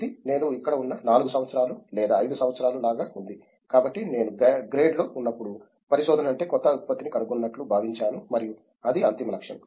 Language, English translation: Telugu, It’s been like 4 years or 5 years I have been here, and so when you see when I was in under grade so I thought the research is something you invent a new product and that is the ultimate goal